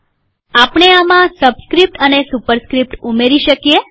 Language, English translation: Gujarati, We can add subscript and superscript to this